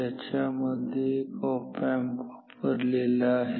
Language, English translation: Marathi, So, it is made up of 3 op amps 1